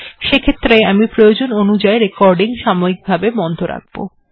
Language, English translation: Bengali, As a result, I will pause the recording when required